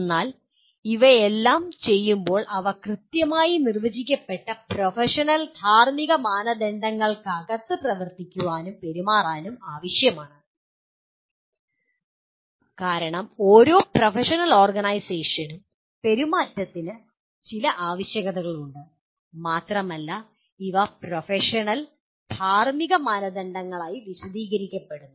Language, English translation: Malayalam, But while doing all these they are required to operate and behave within a within well defined professional and ethical standards because every professional organization has certain requirements of behavior and these are enunciated as professional and ethical standards